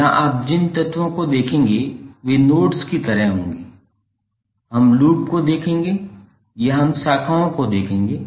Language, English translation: Hindi, Here the elements which you will see would be like nodes, we will see the loops or we will see the branches